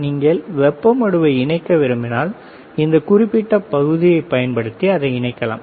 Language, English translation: Tamil, If you want to connect the heat sink, then you can connect it using this particular part